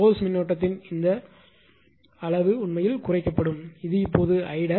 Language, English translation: Tamil, This magnitude of the source current actually is reduced this is I dash now